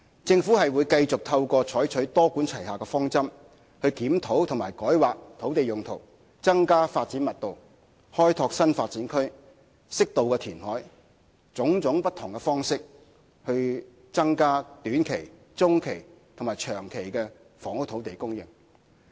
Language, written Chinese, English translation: Cantonese, 政府會繼續採用"多管齊下"的方針，透過檢討及改劃土地用途、增加發展密度、開拓新發展區、適度填海等不同方式，以增加短、中及長期房屋土地供應。, The Government will continue to adopt a multi - pronged approach to increase land supply in the short medium and long run through reviewing and rezoning land for other uses raising the development intensity developing new development areas and appropriately reclaiming land and so on